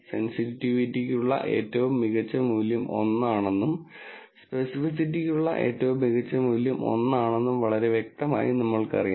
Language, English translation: Malayalam, So clearly, we know that the best value for sensitivity is 1 and the best value for specificity is also 1